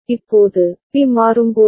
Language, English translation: Tamil, Now, when B is changing